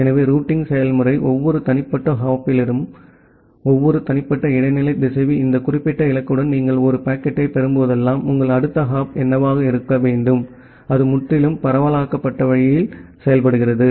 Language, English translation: Tamil, So, the routing procedure decides that at every individual hop, every individual intermediate router whenever you are receiving a packet with this particular destination, what should be your next hop and that is done in a completely decentralized way